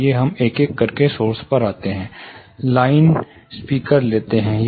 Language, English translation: Hindi, Let us go source by source, let us take the line array speaker